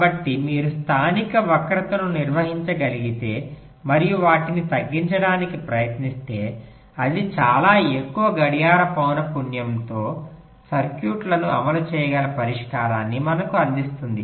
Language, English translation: Telugu, so if you can handle the local skew and try to reduce them, that will perhaps [vocalize noise] provide us with a solution where we can run a circuit with a very high clock frequency